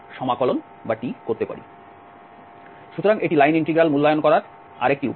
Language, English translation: Bengali, So, that is another way of evaluating the line integral